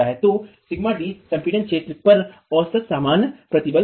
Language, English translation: Hindi, So, sigma D is the average normal stress on the compressed area